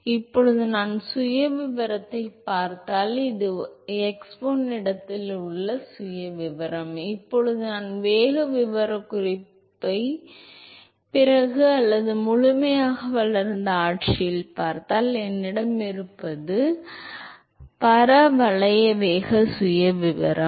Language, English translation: Tamil, So, now, if I look at the profile, this is the profile at x1 location, now if I look at the velocity profile after or at the fully developed regime, what I will have is the parabolic velocity profile